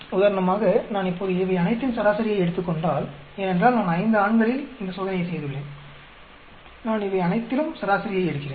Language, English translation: Tamil, For example, if I take an average of all these now, because I have replicated with 5 males, I take an average of all these